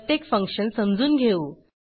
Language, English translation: Marathi, Let us understand each function